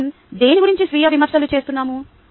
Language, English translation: Telugu, now, what are we ah self critical about